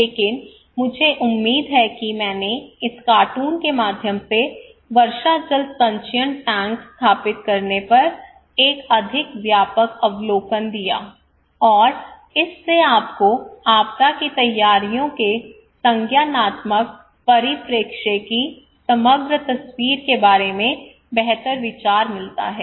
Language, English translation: Hindi, But I hope I gave a more comprehensive overview through this cartoon on installing rainwater harvesting tank and that gives you much better idea about the overall picture of cognitive perspective of disaster preparedness